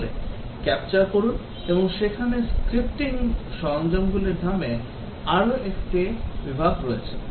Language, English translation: Bengali, So, capture and there is another category of tools called a Scripting tools